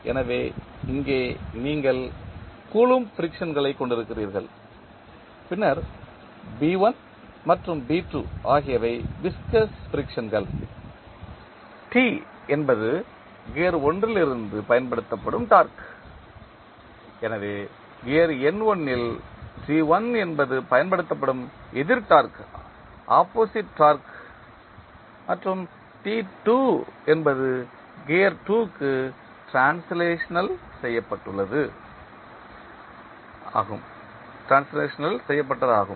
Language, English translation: Tamil, So, here you have the Coulomb frictions, then B1 and B2 are the viscous frictions, T is the torque applied from the gear 1, so the opposite torque which is T1 applied on the gear N1 and translated to gear 2 is T2 and the energy transferred from gear 2 the object which is having inertia equal to J2